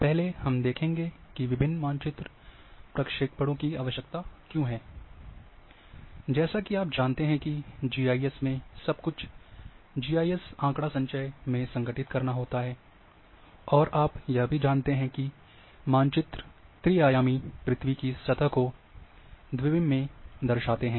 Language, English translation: Hindi, First, let us say why different map projections are required, as you know that in GIS, everything has to be organized in GIS database, and you also know that maps represent three dimensional earth surfaces into 2 d